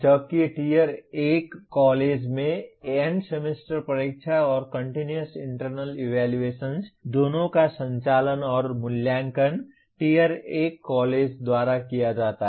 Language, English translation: Hindi, Whereas in Tier 1 college the End Semester Examination and the Continuous Internal Evaluation both are conducted and evaluated by the Tier 1 college